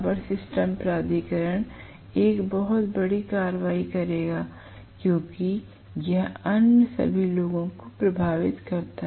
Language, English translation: Hindi, Power system authorities will take a pretty stern action because it affects all the other people